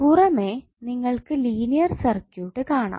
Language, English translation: Malayalam, External to that you will see as a linear circuit